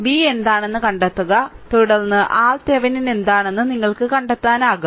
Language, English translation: Malayalam, Then find out what is V right and then, you can find out what is R Thevenin